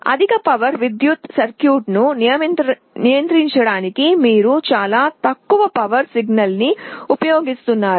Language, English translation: Telugu, You are using a very low power signal to control a higher power circuit